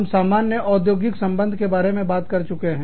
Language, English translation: Hindi, We have talked about, industrial relations, in general